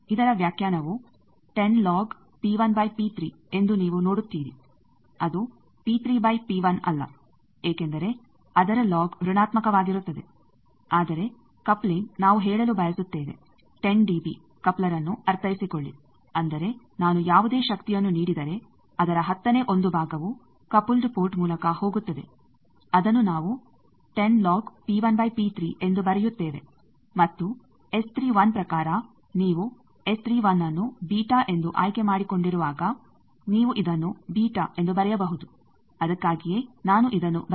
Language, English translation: Kannada, Its definition is 10 log P 1 by P 3 you see that remember it is not P 3 by P 1 because then the log will be negative, but coupling we want to say suppose 10 dB coupler that means, that out of whatever power I am giving one tenth is going through coupled port that we write as 10 log P 1 by P 3, and in terms of S 31 you can write it at we have chosen S 31 to be beta that is why I have written it as 10 20 log beta in dB